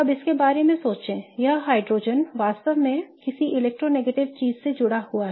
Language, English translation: Hindi, Now think of it this hydrogen is attached to something really electronegative